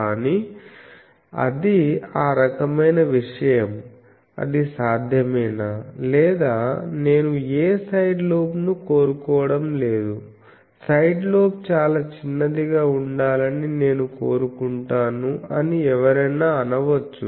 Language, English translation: Telugu, But, that type of thing, is it possible or someone might say that I want that I do not want any side lobe or I want side lobe to be very small, I do not care about what is the directivity